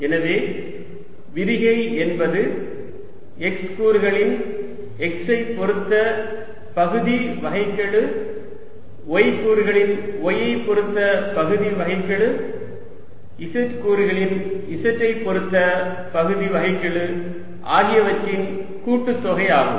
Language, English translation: Tamil, so is divergence is going to be the sum of the partial derivative of x component with respect to x, partial derivative of y component with respect to y and partial derivative of z component with respect to z